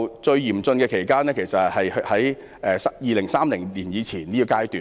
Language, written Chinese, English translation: Cantonese, 最嚴峻的期間是2030年之前的階段。, The severest period will be a period before 2030